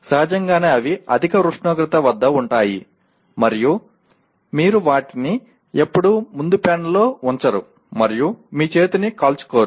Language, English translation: Telugu, Obviously they will be at high temperature and then you never put them on the front panel and burn your hand